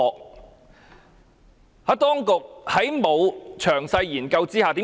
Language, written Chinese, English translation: Cantonese, 為何我指當局沒有作詳細研究？, Why do I say that the authorities fail to carry out a detailed study?